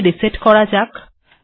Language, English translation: Bengali, Lets do a reset here